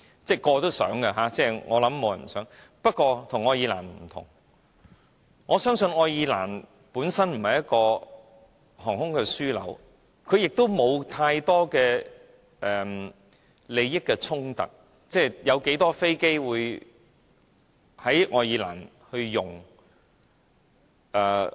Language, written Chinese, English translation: Cantonese, 不過，我們與愛爾蘭不同的是，我相信愛爾蘭本身不是航空樞紐，沒有太多利益衝突，坦白說，有多少飛機會在愛爾蘭升降？, However we differ from Ireland in the sense that Ireland is not an aviation hub itself . There is not much conflict of interests in Ireland then